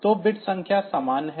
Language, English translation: Hindi, So, bit numbers are the same